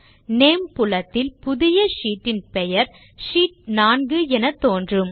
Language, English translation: Tamil, In the Name field, the name of our new sheet is s displayed as Sheet 4